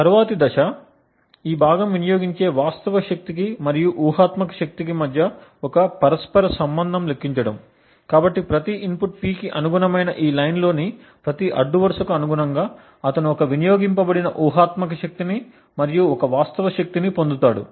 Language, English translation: Telugu, The next step is compute a correlation between the actual power consumed that is this part and the hypothetical power, so note that corresponding to each row in this that is corresponding to each input P he would get one hypothetical power and one real power consumed